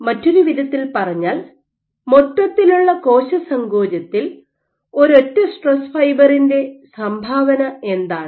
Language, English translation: Malayalam, So, in other words, what is the contribution of a single stress fiber on the overall cell contractility